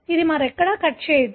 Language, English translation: Telugu, It doesn’t cut anywhere else